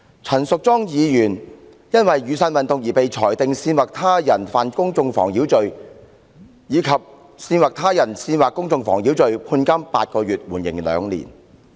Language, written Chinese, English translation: Cantonese, 陳淑莊議員因被裁定在雨傘運動中干犯"煽惑他人犯公眾妨擾罪"及"煽惑他人煽惑公眾妨擾罪"而判監8個月，緩刑兩年。, Ms Tanya CHAN was sentenced to imprisonment for eight months suspended for two years after being convicted of incitement to commit public nuisance and incitement to incite public nuisance during the Umbrella Movement